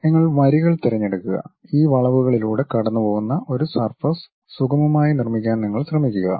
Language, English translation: Malayalam, You pick lines, you try to smoothly construct a surface passing through this curves